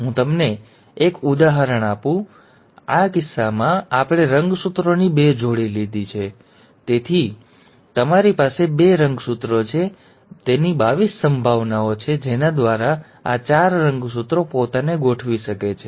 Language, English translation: Gujarati, Now let me give this to you with an example, now in this case, we have taken two pairs of chromosomes; so, each pair of, so you have two chromosomes, so there are 22 possibilities by which these four chromosomes can arrange themselves